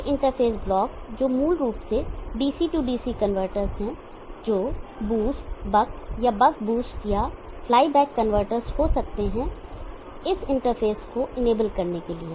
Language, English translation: Hindi, These interface blocks which are basically DC convertor which could be boost fly back convertors enable this interface to happen